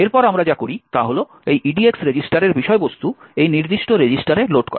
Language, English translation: Bengali, Next, what we do is load the contents of this EDX register into this particular register